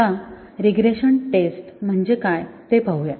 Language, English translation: Marathi, Now, what about regression testing